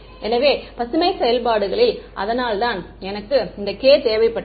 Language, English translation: Tamil, So, Green’s functions, that is why I needed this k naught squared over here